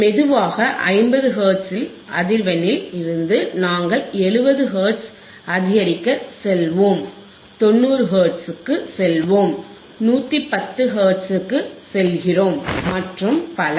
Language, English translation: Tamil, sSlowly increase the frequency from 50 Hertz, we will go to 70 Hertz, we will go to 90 Hertz, we go 110 Hertz and so on so on and so forth